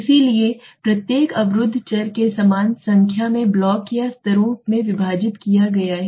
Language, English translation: Hindi, So each blocking variable is divided into an equal number of blocks or levels